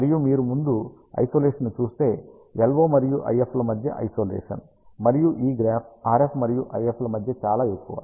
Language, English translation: Telugu, And if you see on the Isolation front, the Isolation between LO and IF, and RF and IF which is this graph is is very very high